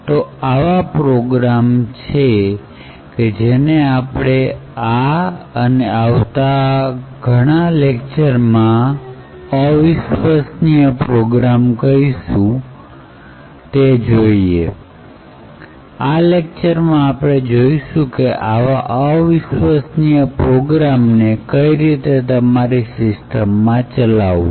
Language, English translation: Gujarati, So these programs which we call as untrusted programs in this particular lecture and the lectures that follow we will see how you could run untrusted programs in your system